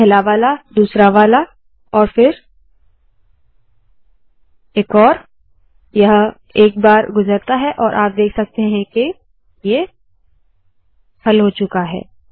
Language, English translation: Hindi, The first one, the second one, and then one more, it passes once, and you can see that it has been solved